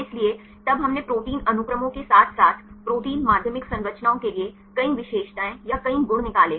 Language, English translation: Hindi, So, then we derived several features or several properties from protein sequences as well as for the protein secondary structures